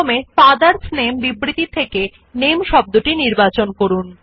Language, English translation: Bengali, In order to cut and paste this word, first select the word, NAME in the statement, FATHERS NAME